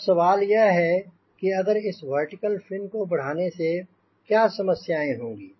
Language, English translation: Hindi, now question is: if i go on increasing this vertical fin, what are the problems